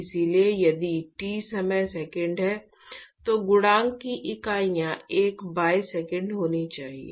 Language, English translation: Hindi, So, if t time is seconds then the units of the coefficient should be one by second